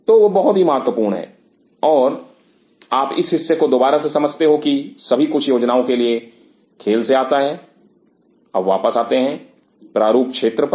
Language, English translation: Hindi, So, that is very important that you understand this part again this all comes in the planning game now coming back to the design area